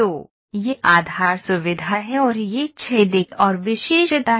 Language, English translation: Hindi, So, this is the base feature and this hole is another feature